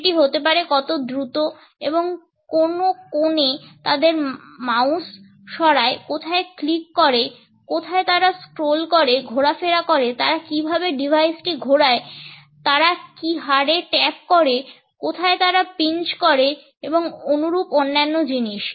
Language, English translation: Bengali, Ranging from how fast and at which angles they move their mouse, where they click, where they hover around in a scroll, how do they device rotations, the rate at which they tap, where they pinch and similar other things